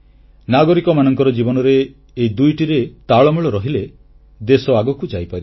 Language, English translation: Odia, A balance between these two in the lives of our citizens will take our nation forward